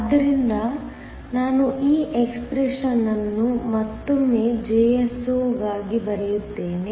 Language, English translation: Kannada, So, let me write this expression for Jso one more time